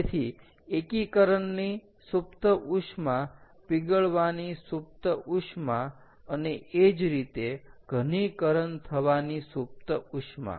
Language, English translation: Gujarati, so latent heat of fusion, latent heat of melting and therefore latent heat of solidification